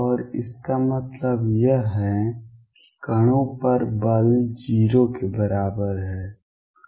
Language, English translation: Hindi, And what that means, is that the force on the particles is equal to 0